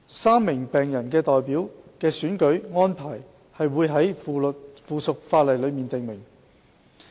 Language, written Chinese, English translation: Cantonese, 三名病人代表的選舉安排會在附屬法例中訂明。, The election procedures of the three patient representatives shall be prescribed in a subsidiary legislation